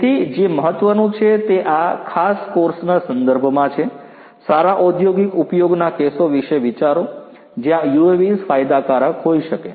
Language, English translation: Gujarati, So, what is important is in the context of this particular course, think about good industrial use cases where UAVs can be of benefit